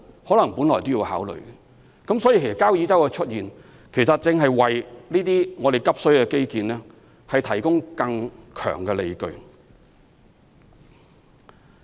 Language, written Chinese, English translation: Cantonese, 所以，交椅洲的出現，正是為這些急需的基建提供更強的理據。, This pressing need for infrastructure further justifies the reclamation at Kau Yi Chau